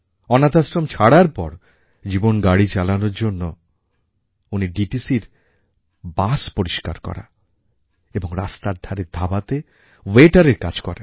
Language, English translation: Bengali, After leaving the orphanage, he eked out a living cleaning DTC buses and working as waiter at roadside eateries